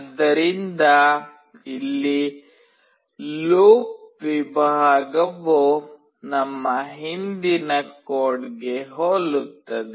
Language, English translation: Kannada, So here, is in the loop section we do something very similar to the previous code